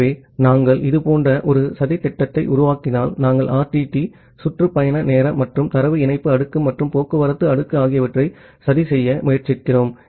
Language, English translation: Tamil, So, if we make a plot something like this so we are we are trying to plot the RTT, the round trip time and the data link layer and the transport layer